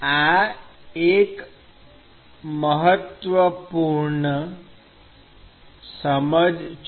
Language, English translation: Gujarati, So, that is an important inside